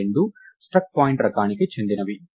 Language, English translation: Telugu, They are both of the type struct point